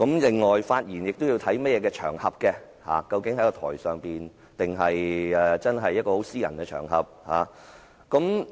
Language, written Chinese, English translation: Cantonese, 況且，發言也應考慮場合，究竟他是在台上還是在私人場合講話？, Moreover one should consider the occasion when speaking no matter whether he is talking on the stage or in private occasions